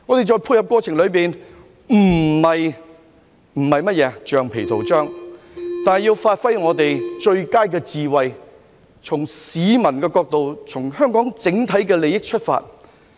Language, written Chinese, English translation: Cantonese, 在配合過程裏，我們不是橡皮圖章，但要發揮我們最佳的智慧，從市民的角度、從香港的整體利益出發。, In the collaborative process we are not rubber stamps but we have to give full play to our best wisdom from the perspective of people and of the overall interests of Hong Kong